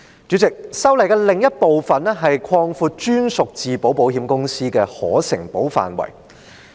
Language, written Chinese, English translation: Cantonese, 主席，修例的另一部分，是擴闊在香港成立的專屬自保保險公司的可承保範圍。, President another part of the legislative amendments concerns expanding the scope of insurable risks covered by captive insurers set up in Hong Kong